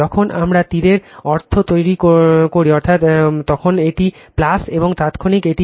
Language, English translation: Bengali, When we make arrow means, it is plus and instantaneous this is minus